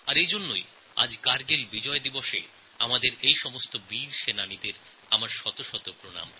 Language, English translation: Bengali, Hence, I would like to salute all these valiant warriors on this occasion of Kargil Vijay Diwas